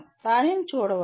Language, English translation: Telugu, One can look at that